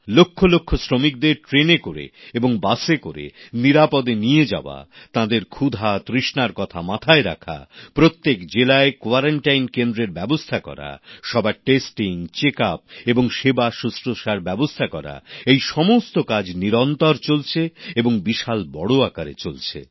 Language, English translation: Bengali, Safely transporting lakhs of labourers in trains and busses, caring for their food, arranging for their quarantine in every district, testing, check up and treatment is an ongoing process on a very large scale